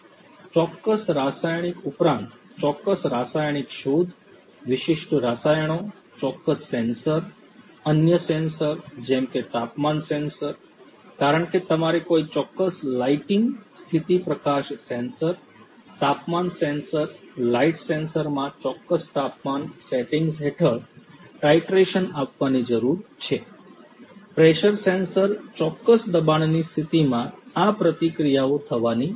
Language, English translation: Gujarati, In addition to certain chemical, specific chemical detection, specific chemicals, specific sensors other sensors such as temperature sensor, because you need to conduct a certain reaction or maybe a titration under certain temperature settings in a certain lighting condition;, light sensors, temperature sensor light sensor, pressure sensor in a certain pressure condition these reactions have to happen